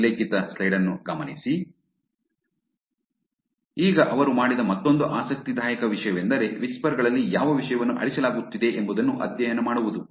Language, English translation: Kannada, So, now another interesting thing that they did is to study what content was getting deleted on whisper